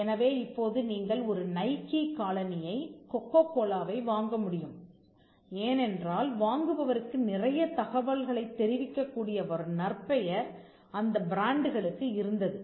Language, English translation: Tamil, So, now you could buy a Nike shoe or purchase Coca Cola because, the brands had a repetition which conveyed quite a lot of information to the buyer